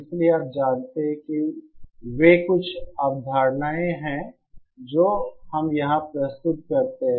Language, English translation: Hindi, So you know so those are the few concepts that we introduce here